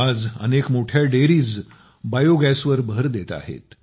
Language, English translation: Marathi, Today many big dairies are focusing on biogas